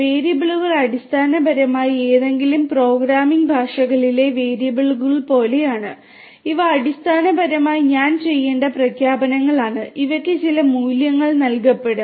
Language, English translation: Malayalam, Variables are basically like the variables in any programming languages, these are basically declarations that I that will have to be done and these will be assigned certain values right